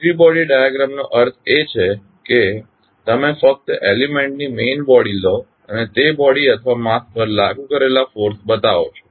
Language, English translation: Gujarati, Free body diagram means you just take the main body of the element and show the forces applied on that particular body or mass